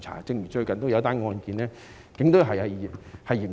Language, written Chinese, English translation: Cantonese, 正如最近的一宗案件，警隊正在嚴查。, For example the Police Force is investigating a recent case rigorously